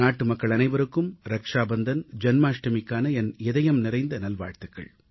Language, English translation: Tamil, Heartiest greetings to all countrymen on the festive occasions of Rakshabandhanand Janmashtami